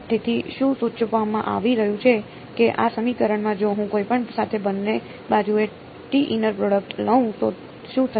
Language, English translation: Gujarati, So, what is being suggested is that, in this equation what if I take a inner product on both sides with t any t ok